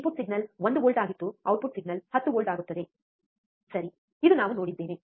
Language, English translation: Kannada, Input signal was 1 volt, output signal will become 10 volts, right, this what we have seen